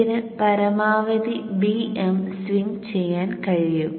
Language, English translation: Malayalam, It can swing the maximum of bm